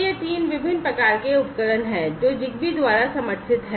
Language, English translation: Hindi, So, these are the 3 different types of devices that are supported by Zigbee